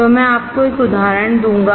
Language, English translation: Hindi, So, I will give you an example